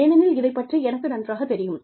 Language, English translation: Tamil, Because, this is something, I know best